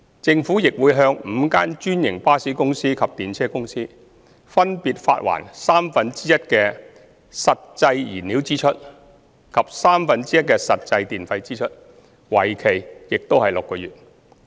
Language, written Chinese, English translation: Cantonese, 政府亦會向5間專營巴士公司及電車公司，分別發還三分之一的實際燃料支出及三分之一的實際電費支出，為期6個月。, The Government will also reimburse one - third of the actual fuel cost and one - third of the actual electricity cost to the five franchised bus companies and Tramways respectively for six months